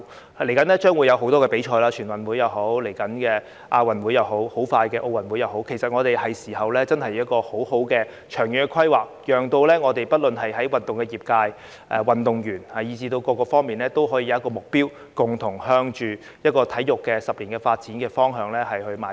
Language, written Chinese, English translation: Cantonese, 多項賽事即將舉行，包括全運會、亞運會，以及很快又再舉行的奧運會，其實現在是時候好好作出長遠規劃，讓不論運動業界、運動員以至各界都可以有一個目標，共同朝着10年的體育發展方向邁進。, A number of sporting events will take place soon including the National Games the Asian Games and another Olympic Games . In fact it is now time to make proper long - term plans so that the sports community athletes and various sectors may work towards a goal in sports development for the coming decade